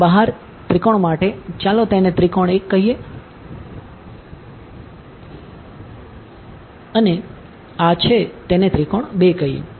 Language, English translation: Gujarati, For the triangle outside over here, let us call it triangle 1 and this call it triangle 2